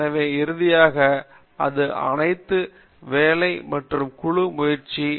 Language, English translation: Tamil, And so finally, it’s all hard work plus team spirit plus good foundation